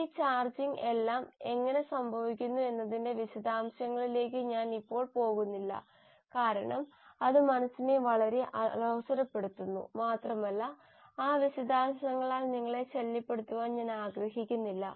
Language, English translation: Malayalam, Now I am not going to get into details of how all this charging happens because then it becomes too mind boggling and I do not want to bother you with all those details